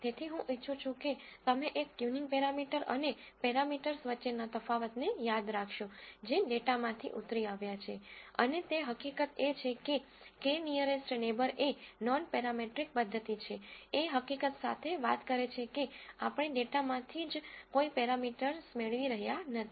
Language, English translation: Gujarati, So, I want you to remember the distinction between a tuning parameter and parameters that are derived from the data and the fact that k nearest neighbor is a nonparametric method, speaks to the fact that we are not deriving any parameters from the data itself